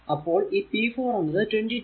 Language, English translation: Malayalam, So, this is actually your p 4 is equal to look 22 into that 0